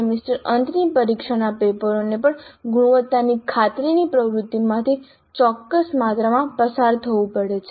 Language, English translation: Gujarati, Even semester and examination papers have to go through certain amount of quality assurance activity